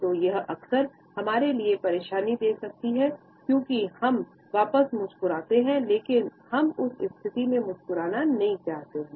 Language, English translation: Hindi, So, it can be often irritating to us, because either we are trapped into smiling back or the situation does not allow us to a smile at all